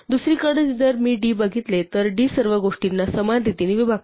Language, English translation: Marathi, On the other hand if I look at d, d evenly divides everything